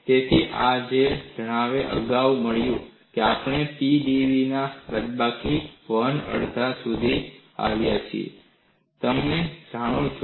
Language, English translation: Gujarati, So, this is where we have got previously, we have come up to minus 1 half of P dv; this you know